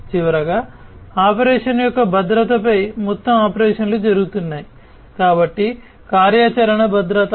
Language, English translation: Telugu, And finally, overall the operations that are being carried on security of the operation, so operational security